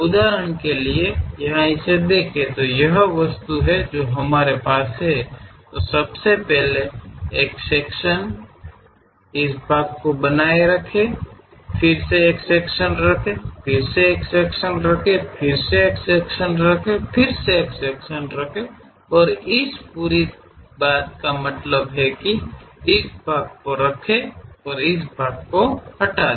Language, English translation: Hindi, For example, here look at it, this is the object what we have; first of all have a section, retain this part, again have a section, again have a section, again have a section, again have a section and keep this part, that means keep this entire thing and remove this part